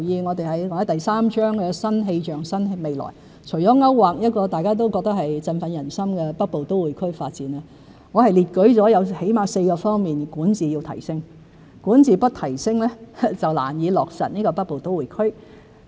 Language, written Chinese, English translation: Cantonese, 我在第三章"新氣象新未來"中，除了勾劃一個大家都認為振奮人心的北部都會區發展外，還列舉了最少有4個方面需要提升管治，若不提升便難以落實北部都會區。, In Chapter III New Paradigm for a New Future apart from outlining the Northern Metropolis Development Strategy which is deemed to have boosted public confidence I have also set out at least four dimensions to enhance the effectiveness of governance . Without effective governance it will be difficult to implement the plan for the Northern Metropolis